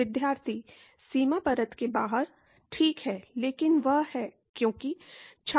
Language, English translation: Hindi, Outside the boundary layer Right, but that is, because